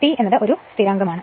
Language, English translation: Malayalam, But T is equal to then this is a constant this is a constant